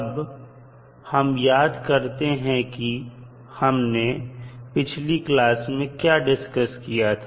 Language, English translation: Hindi, So, now let us recap what we discussed in the last class